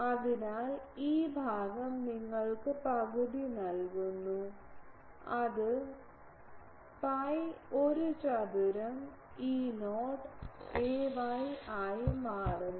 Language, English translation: Malayalam, So, this part gives you half so, it becomes pi a square E not a y